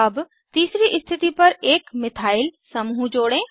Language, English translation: Hindi, Let us add a Methyl group to the third position